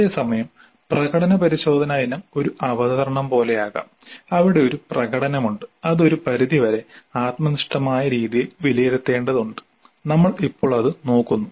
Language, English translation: Malayalam, So the performance test item can be something like a presentation where there is a performance and that needs to be evaluated to some extent in some subjective fashion